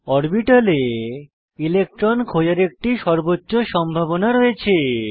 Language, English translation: Bengali, An orbital is a region of space with maximum probability of finding an electron